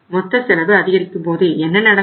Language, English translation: Tamil, So when the total cost is going up so what will happen